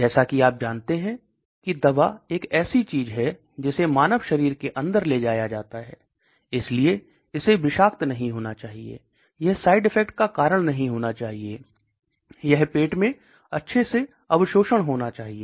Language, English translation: Hindi, As you know drug is something that is taken inside the human body, so it should not be toxic, it should not cause side effects, it should have a good absorption in the stomach and so on